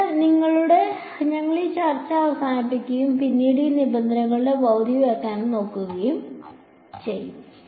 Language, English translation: Malayalam, So, with that, we will bring this discussion to an end and subsequently we will look at the physical interpretation of these terms